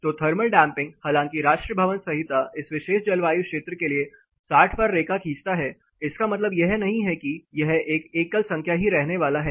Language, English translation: Hindi, So, thermal damping though national building code draws line at 60 for this particular climate zone it does not mean it is going to remain a single number all through